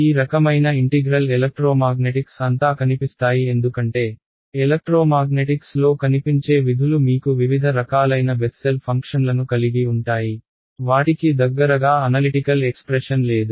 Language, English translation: Telugu, These kind of integrals they appear throughout electromagnetics because, the kinds of functions that appear in electromagnetics you will have Bessel functions of various kinds, they do not have any close form analytical expression